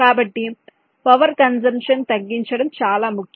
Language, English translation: Telugu, so reducing the power consumption is of paramount important